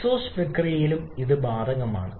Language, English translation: Malayalam, The same is applicable during the exhaust process as well